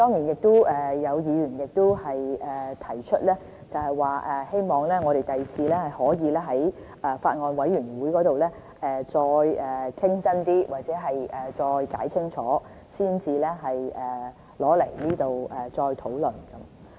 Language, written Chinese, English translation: Cantonese, 有議員亦提出，希望我們日後可以先在法案委員會內認真討論或解釋清楚，才在這裏再討論。, Some Members have mentioned their wish that future bills can undergo thorough discussion or explanation in relevant Bills Committees before they are submitted to this Council for discussion